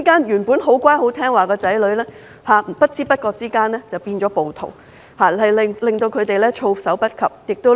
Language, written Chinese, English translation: Cantonese, 原本很乖巧的子女在不知不覺間變成了暴徒，令他們措手不及，家不成家。, Their sons and daughters who used to be good kids suddenly turned into rioters . Parents were taken by surprise and families were torn apart